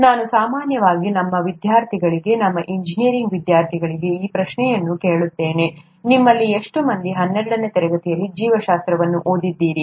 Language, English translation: Kannada, I usually ask this question to our students, our engineering students, “How many of you have done biology in twelfth standard